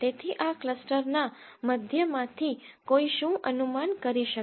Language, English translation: Gujarati, So, what can one infer from this cluster means